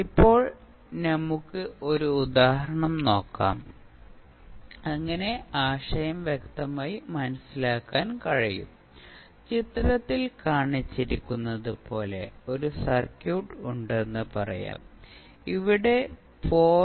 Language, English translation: Malayalam, Now, let us take one example so that we can clear the concept, let say we have one circuit as shown in the figure, here one inductor of 0